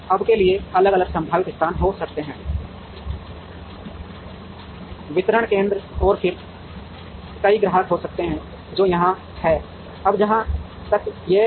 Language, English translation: Hindi, Now, there could be different possible locations for the distribution centers and then, there could be several customers, which are here, now as far as this